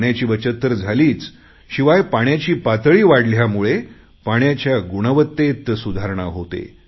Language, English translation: Marathi, Not only has water been saved, the quality of water has also vastly improved with the water level increasing